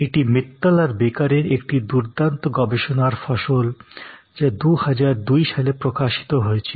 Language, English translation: Bengali, This is a nice research construct from Mittal and Baker, this was published in 2002